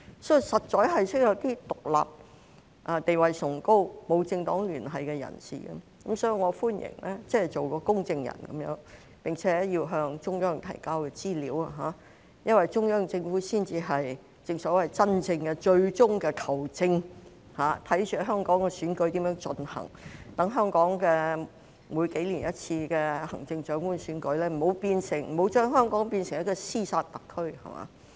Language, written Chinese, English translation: Cantonese, 所以，實在需要一些獨立、地位崇高、沒有政黨聯繫的人士作為公證人，並且要向中央提交資料，因為中央政府才是真正最終的"球證"，看着香港選舉如何進行，讓每數年舉行一次的行政長官選舉不會把香港變成一個"屍殺特區"。, Therefore there is really the need for some independent persons with a high status and no political affiliation to act as adjudicators and submit information to the Central Government because the Central Government is the genuine ultimate referee overseeing how elections in Hong Kong are conducted such that the Chief Executive election held once every few years will not turn Hong Kong into a special administrative region with ruthless fighting